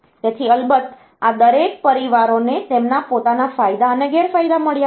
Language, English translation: Gujarati, So of course, each of these families they have got their own advantages and disadvantages